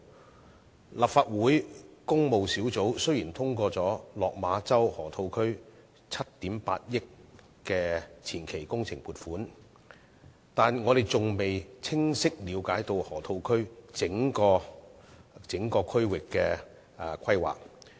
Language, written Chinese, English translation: Cantonese, 雖然立法會工務小組委員會通過了7億 8,000 萬元的落馬洲河套區前期工程撥款，但我們還未清晰了解整個河套區的規劃。, Although the Public Works Subcommittee of the Legislative Council has endorsed the funding provision of 780 million for the Advance Engineering Works of the Lok Ma Chau Loop we do not yet have a clear understanding of the planning of the entire Loop